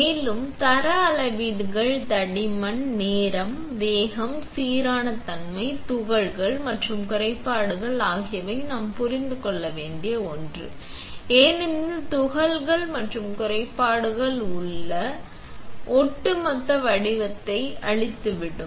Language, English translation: Tamil, And the quality measures are the thickness, the time, speed, uniformity while particles and defects are something that we need to also understand, because the particles and defects will destroy your overall pattern